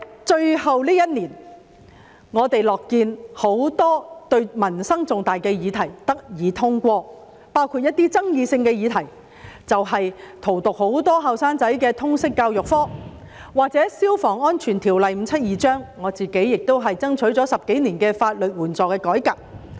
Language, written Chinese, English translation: Cantonese, 在最後這一年，我們樂見很多民生重大議題得以通過，包括一些具爭議性的議題，例如荼毒很多年輕人的通識教育科、關於《消防安全條例》的修訂，以及我自己爭取了10多年的法律援助的改革。, In this final year of the current term we were pleased to see the passage of many important proposals related to peoples livelihood and have dealt with some controversial issues such as the Liberal Studies subject which has poisoned the minds of many young people the amendment to the Fire Safety Buildings Ordinance Cap . 572 and the legal aid reform which I have been fighting for more than a decade